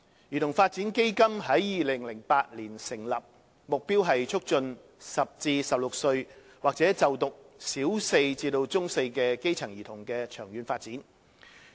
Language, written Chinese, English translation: Cantonese, 兒童發展基金於2008年成立，目標是促進10歲至16歲或就讀小四至中四的基層兒童的長遠發展。, Founded in 2008 CDF aims to facilitate the long - term development of grass - roots children aged 10 to 16 or currently a Primary 4 to Secondary 4 student